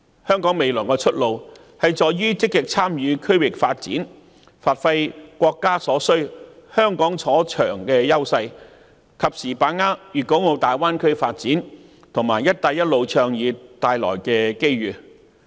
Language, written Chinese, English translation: Cantonese, 香港未來的出路在於積極參與區域發展，發揮國家所需、香港所長的優勢，及時把握粵港澳大灣區發展和"一帶一路"倡議帶來的機遇。, The way forward for Hong Kong lies in our active participation in regional developments bringing out the edges of Hong Kong that our country needs and timely grasping the opportunities brought by the development of the Guangdong - Hong Kong - Macao Greater Bay Area and the Belt and Road Initiative